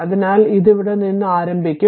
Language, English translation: Malayalam, So, it will start from here